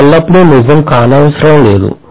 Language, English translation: Telugu, This need not be always true